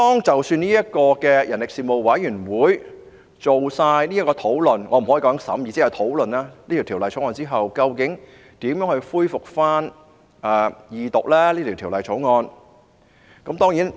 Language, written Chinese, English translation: Cantonese, 即使人力事務委員會完成討論——我不能說是審議，只能說是討論——這項《條例草案》後，究竟如何恢復《條例草案》的二讀辯論？, Even if the Panel on Manpower has finished its discussion―I can only say this is discussion rather than scrutiny―of the Bill how will the Second Reading of the Bill be resumed?